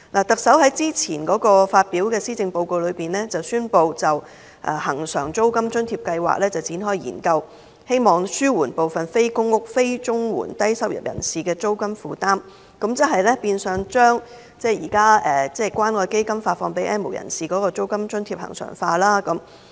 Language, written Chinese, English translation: Cantonese, 特首在早前發表的施政報告中，宣布展開對恆常現金津貼計劃的研究，希望紓緩部分非公屋、非綜援的低收入人士的租金負擔，變相將現時關愛基金發放予 "N 無人士"的現金津貼恆常化。, The Chief Executive announced earlier in her Policy Address that a study on the provision of cash allowance on a regular basis would be conducted with the aim of alleviating the rental burden on low - income households not living in public rental housing PRH and not receiving Comprehensive Social Security Assistance . This initiative will in effect regularize the current provision of cash allowance to the N have - nots by the Community Care Fund